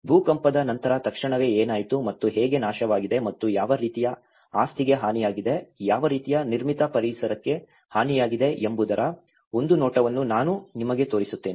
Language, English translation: Kannada, I will just show you a glimpse of what all things have happened immediately after an earthquake and how what are the destructions and what kind of property has been damaged, what kind of built environment has been damaged